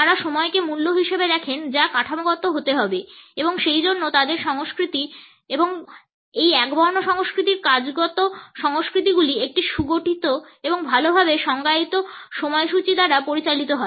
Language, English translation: Bengali, They look at time as money as value which has to be structured and therefore, their culture and therefore, the work cultures in these monochronic cultures are governed by a well structured and well defined schedules